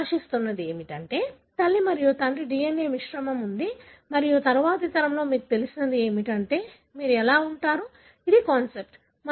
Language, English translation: Telugu, So, what you are expecting is that there is a mixture of the mother and father DNA and that is what you, you know, in the next generation; how will you, this is the concept